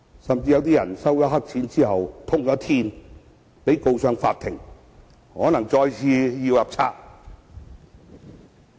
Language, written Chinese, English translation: Cantonese, 此外，也有人因收黑錢被揭發而被告上法庭，有可能要再次"入冊"。, Moreover another Member has been taken to court after he was found to have accepted black money and it is likely that he would be put behind bars again